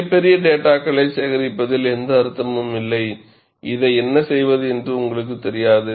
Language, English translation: Tamil, There is no point in collecting voluminous data and you find, you do not know what to do with it